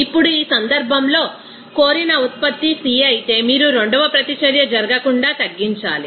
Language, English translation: Telugu, Now, in this case if C is a desire product then you have to minimize the second reaction from taking place